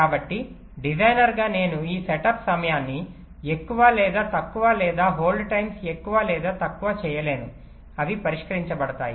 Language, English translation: Telugu, so as a designer, i cannot make this set up time longer, us or shorter, or the hold times longer or shorter